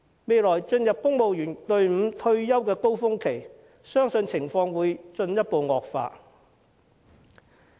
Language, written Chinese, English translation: Cantonese, 未來將會進入公務員隊伍退休的高峰期，相信情況會進一步惡化。, As the years ahead will be a peak period for the retirement of civil servants it is believed that the situation will further deteriorate